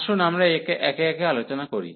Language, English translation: Bengali, So, let us discuss one by one